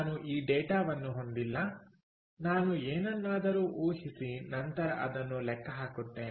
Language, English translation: Kannada, so i dont have this data, i have got to assume something and then calculate it in this manner